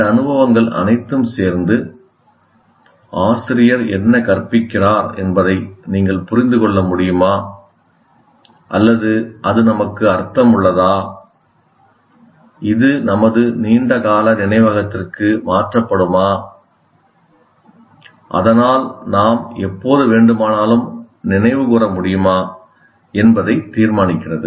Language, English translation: Tamil, And all these experiences together decide whether we are, whatever word that you want to use, whether you can make sense of what the teacher is teaching, or it is meaningful to us, whether it will be transferred to our long term memory so that we can recall whenever we want, we remember the process